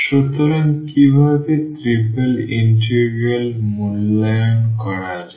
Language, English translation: Bengali, So, how to evaluate the triple integral